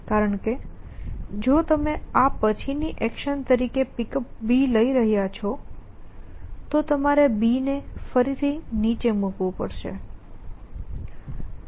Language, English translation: Gujarati, Because if you are going to do pickup B as a action which is the after this then you will have to put it down again